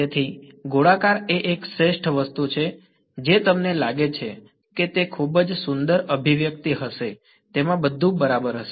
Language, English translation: Gujarati, So, spherical is a best thing do you think it will be a very beautiful expression right it's going to have everything in it right